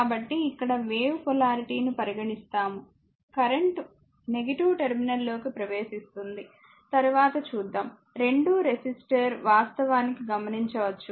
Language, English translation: Telugu, So, but here the wave we have taken the polarity , that current entering into the minus terminal later we will see, that both are resistor actually observe power , right